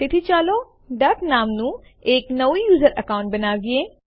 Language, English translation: Gujarati, So let us create a new user account named duck